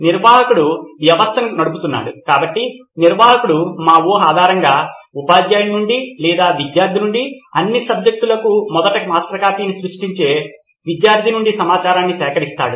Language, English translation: Telugu, The admin is running the system, so the admin would collect the content from either the teacher based on our assumption or from student, one of the student to create the first master copy for all the subjects